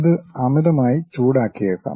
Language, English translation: Malayalam, It might be overheated